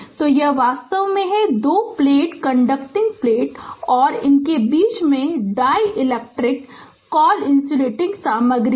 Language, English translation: Hindi, So, this is actually you have a two plate conducting plate and between you have dielectric we call insulating material right